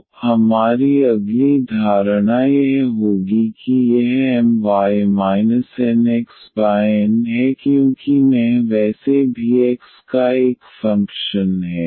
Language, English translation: Hindi, So, our next assumption would be that this M y minus this N x over N because I is anyway a function of x